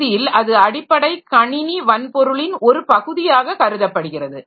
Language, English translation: Tamil, So, ultimately it is treated as a part of the basic computer hardware